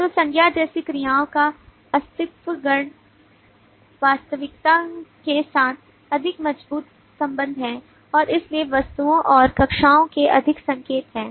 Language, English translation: Hindi, nouns have more strong correlation with existential realities and therefore are more indicative of objects and classes